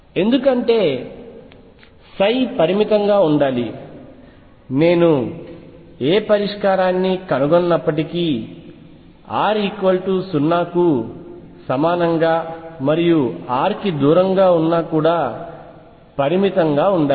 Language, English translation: Telugu, Because psi should be finite, if I whatever solution I find r should be finite everywhere including r equals 0 and r going far away